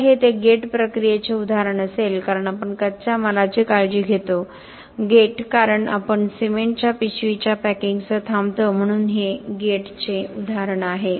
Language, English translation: Marathi, So, this would be an example of a cradle to gate process, cradle because we take care of the raw materials, gate because we are stopping with a packing of the cement bag ok so this is an example of a cradle to gate